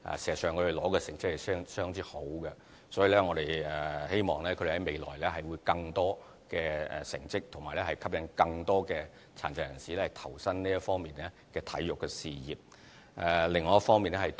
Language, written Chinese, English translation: Cantonese, 事實上，他們所取得的成績是相當好，所以希望他們在未來會有更佳的成績，並吸引更多殘疾人士投身體育事業。, Their results are actually rather good . We thus hope that they can achieve better results in future and bring forward better sports participation by people with disabilities